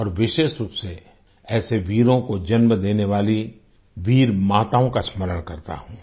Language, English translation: Hindi, And especially, I remember the brave mothers who give birth to such bravehearts